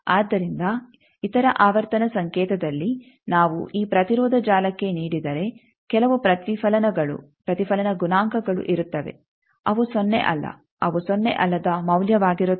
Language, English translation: Kannada, So, if in at other frequency signal if we give to this impedance network there will be some reflections there will be reflection coefficient that is not 0 that is some non 0 value